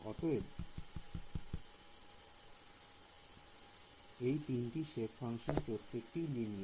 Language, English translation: Bengali, So, all of these 3 shape functions are linear functions ok